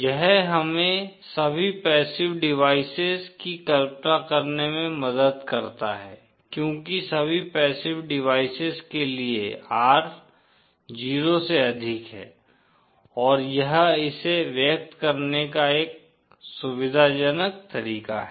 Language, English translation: Hindi, This helps us to visualise all passive devices because for all passive devices, R is greater than 0 and that is a convenient way of expressing it